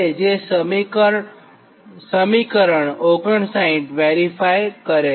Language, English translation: Gujarati, that is equation sixty nine